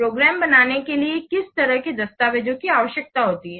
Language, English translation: Hindi, What kind of documents are required to create a program